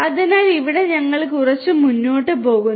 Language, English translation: Malayalam, So, here we are going little bit further